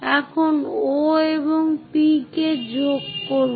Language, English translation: Bengali, Now, join O and P